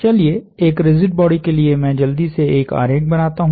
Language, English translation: Hindi, A rigid body let say I will draw a quick schematic